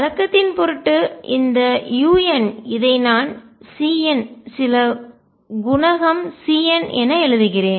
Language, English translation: Tamil, Just for the convention sake let me write this u n as c n some coefficient c n